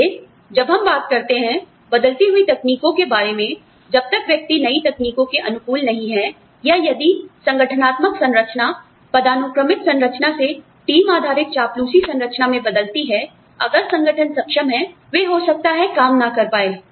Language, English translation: Hindi, So, when we talk about, you know, technology changing, unless the person is adaptable to new technologies, or, if the organizational structure changes, from hierarchical structure, to a team based flatter structure, if the organization is capable, they may not be able to function